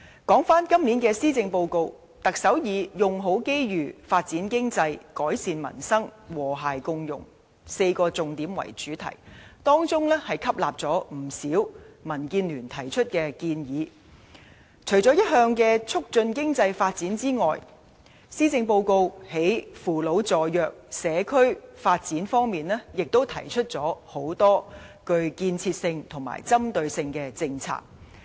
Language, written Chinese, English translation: Cantonese, 今年施政報告，特首以"用好機遇，發展經濟，改善民生，和諧共融 "4 個重點為主題，當中吸納了民主建港協進聯盟提出的不少建議，除了一如以往的促進經濟發展外，施政報告在扶老助弱、社區發展方面亦提出很多具建設性及針對性的政策。, In the Policy Address this year the Chief Executive uses four focuses namely Make Best Use of Opportunities Develop the Economy Improve Peoples Livelihood and Build an Inclusive Society as the theme . Many recommendations made by the Democratic Alliance for the Betterment and Progress of Hong Kong DAB are adopted and apart from the usual polices on economic development the Policy Address also proposes many constructive and specific policies in elderly care support for the disadvantaged and community development